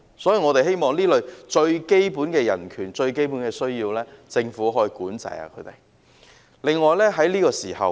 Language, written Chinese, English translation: Cantonese, 所以我們希望對這類最基本的人權、最基本的需要，政府可以加以管制。, Therefore we hope that the Government can impose control on these situations that concern the most basic human right and the most basic need of the people